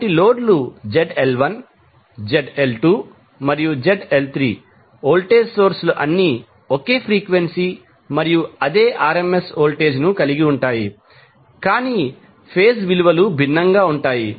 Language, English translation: Telugu, So, loads are Zl1, Zl2 and Zl3 voltage sources are having same frequency and same RMS voltage, but the phase values are different